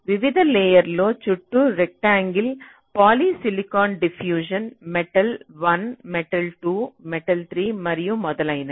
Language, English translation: Telugu, rectangles around various layers: polysilicon, diffusion, metal, metal one, metal two, metal three, and so on fine